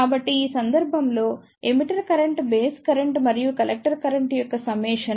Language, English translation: Telugu, So, in this case, the emitter current is the summation of the base current and the collector current